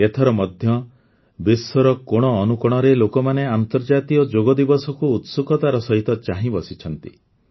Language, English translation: Odia, This time too, people in every nook and corner of the world are eagerly waiting for the International Day of Yoga